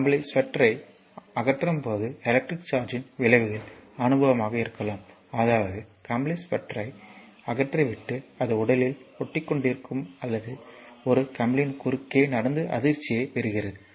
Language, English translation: Tamil, So, effects of electric charge can be experience when we carry to a remove our woolen sweater I mean you might have seen also remove our woollen sweater and have it stick to our body or walk across a carpet and receive a shock